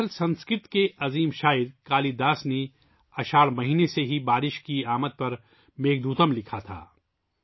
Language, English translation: Urdu, Actually, the great Sanskrit poet Kalidas wrote the Meghdootam on the arrival of rain from the month of Ashadh